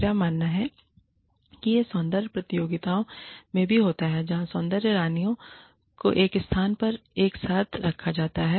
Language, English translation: Hindi, I believe, this also happens in beauty pageants, where the beauty queens are put together, in one location